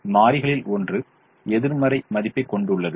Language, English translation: Tamil, one of the variables has a negative value